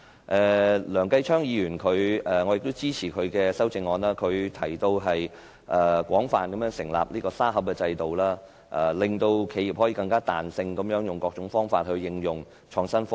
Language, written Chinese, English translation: Cantonese, 我亦支持梁繼昌議員的修正案，他提出廣泛建立"沙盒"制度，令企業可以更具彈性地用各種方法應用創新科技。, I also support the amendment of Mr Kenneth LEUNG who proposed the establishment of a sandbox system to give companies more flexibility in applying innovation and technology